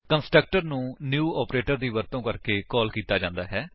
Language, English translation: Punjabi, Constructor is called using the new operator